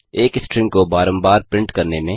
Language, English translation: Hindi, Print a string repeatedly